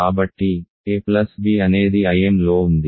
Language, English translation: Telugu, So, a plus b is in I m